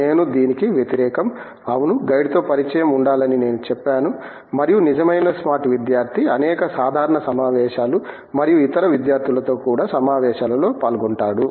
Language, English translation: Telugu, I am against that, I would say there would be contact with the guide yes, and the real smart student is one who will get the queue through many casual meeting and also with the meetings of other students